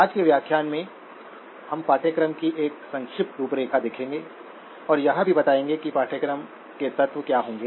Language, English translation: Hindi, In today's lecture, we will be giving a brief outline of the course and also introduction to what will be the elements of the course